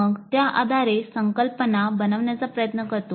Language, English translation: Marathi, And then based on that, the learner tries to formulate the concept